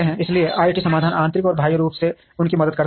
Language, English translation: Hindi, So IT solutions internally and externally help them